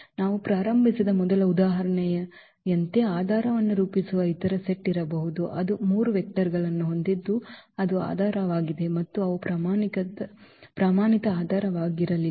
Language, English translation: Kannada, There can be other set which can also form the basis like in the example of the first example which we started with we had those 3 vectors which form the basis and they were not the standard basis